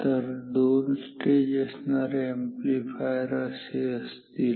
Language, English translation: Marathi, So, this is what a two stage amplifier is